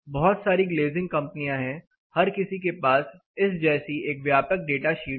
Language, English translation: Hindi, There are lot of glazing companies everybody has an extensive data sheet one of this things